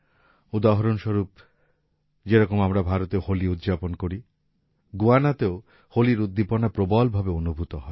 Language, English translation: Bengali, For example, as we celebrate Holi in India, in Guyana also the colors of Holi come alive with zest